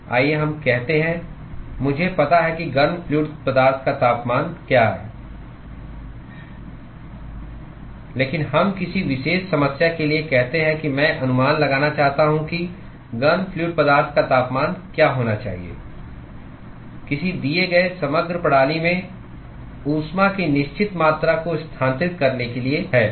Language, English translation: Hindi, Let us say, I know what the temperature of the hot fluid is, but let us say for some particular problem I want to estimate what should be the temperature of the hot fluid, in order for certain amount of heat to be transferred across a given composite system